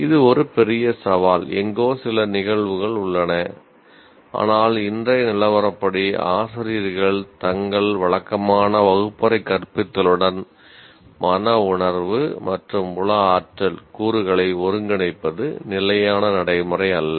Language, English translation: Tamil, We don't have, while we do have some instances somewhere, but as of today, it is not standard practice for teachers to integrate affective and psychomotry elements into their regular classroom teaching